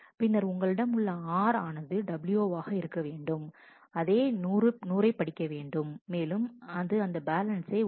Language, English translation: Tamil, Then you have r to be w to be which reads 100 makes this balance change by 1